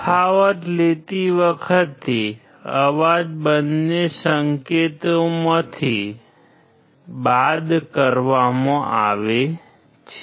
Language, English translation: Gujarati, While taking the difference, noise is subtracted from both the signals